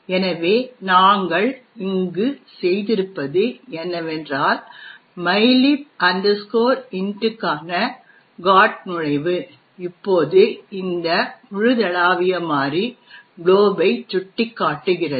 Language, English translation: Tamil, So, what we have done over here is that the GOT entry for mylib int now points to this global variable glob